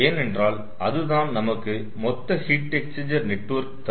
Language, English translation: Tamil, ah, because that will give us the total heat exchanger network